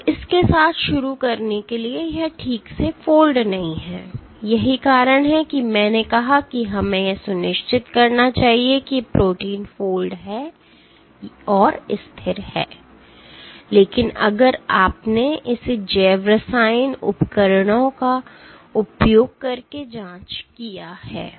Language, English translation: Hindi, So, to begin with it does not fold properly and that is why I said that we must make sure that the protein folds and stable, but if you have done this check using biochemistry tools